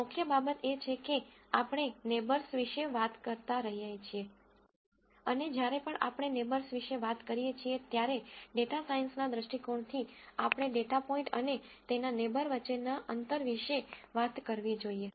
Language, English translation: Gujarati, The key thing is that because we keep talking about neighbors, and from a data science viewpoint whenever we talk about neighbors, we have to talk about a distance between a data point and its neighbor